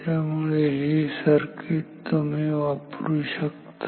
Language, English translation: Marathi, So, this circuit can be used